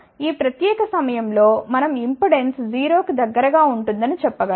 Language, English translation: Telugu, At this particular point we can say that the impedance will be close to 0